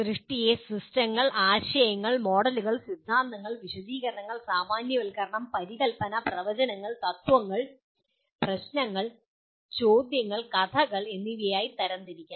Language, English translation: Malayalam, Generation is it can be classifying systems, concepts, models, theories, explanations, generalization, hypothesis, predictions, principles, problems, questions, and stories